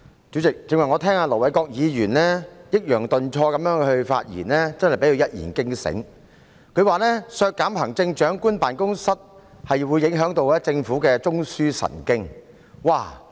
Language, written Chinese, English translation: Cantonese, 主席，我剛才聽到盧偉國議員抑揚頓挫地發言，真的被他一言驚醒，他表示削減行政長官辦公室的開支會影響政府的中樞神經。, President hearing Ir Dr LO Wai - kwoks eloquent speech just now I was indeed suddenly enlightened . He said a reduction of the expenditure of the Chief Executives Office would affect the Governments backbone